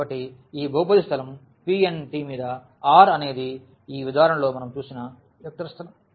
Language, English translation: Telugu, So, this polynomial space P n t over R is a vector space which we have seen in this example